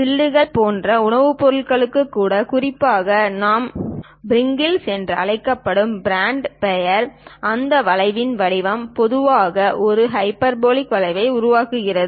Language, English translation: Tamil, Even for products food products like chips, especially the brand name we call Pringles; the shape of that curve forms typically a hyperbolic curve